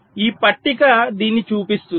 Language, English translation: Telugu, so this table shows this